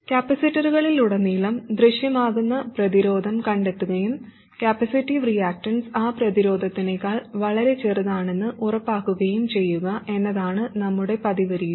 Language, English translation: Malayalam, And our usual method is to find the resistance that appears across the capacitor and make sure that the capacity reactants is much smaller than that, much smaller than that resistance